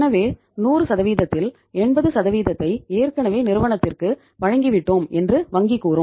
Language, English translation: Tamil, So out of the 100% bank would say 80% is already given to the firm